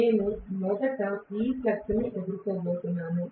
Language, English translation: Telugu, I am going to have this facing the flux first